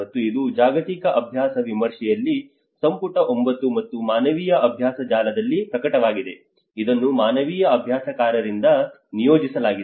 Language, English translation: Kannada, And it is published in the global practice review in volume 9 and Humanitarian Practice Network which has been commissioned by the humanitarian practitioner